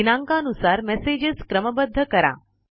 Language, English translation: Marathi, Sort the messages by Date received